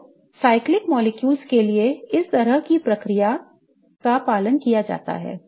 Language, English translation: Hindi, So, for cyclic molecules this kind of procedure is followed